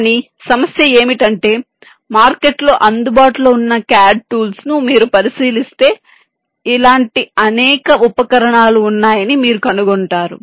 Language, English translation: Telugu, but the issue is that if you look in to the available cad tools that there in the market, we will find that there are many such available tools